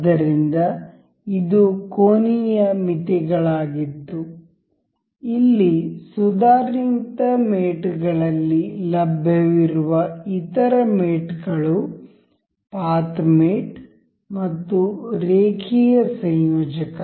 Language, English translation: Kannada, So, this was angular limits, the other mates available here is in advanced mate is path mate and linear coupler